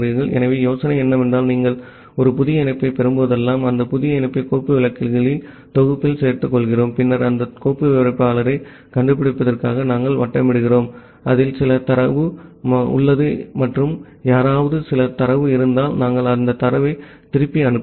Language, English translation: Tamil, So, the idea is that whenever you are getting a new connection, we are adding that new connection in the set of file descriptors and then we are looping over that file descriptor to find out, which one have certain data and if someone has certain data, we are sending back that data